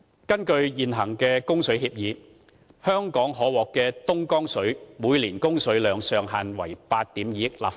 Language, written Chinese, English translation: Cantonese, 根據現行的供水協議，香港每年可獲的東江水上限為8億 2,000 萬立方米。, According to the current water supply agreement the Dongjiang water for Hong Kong has a ceiling of 820 million cu m per year